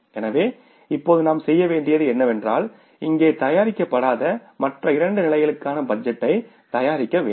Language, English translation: Tamil, So, what you have to do is now that to prepare the budget for the two other levels which is not prepared here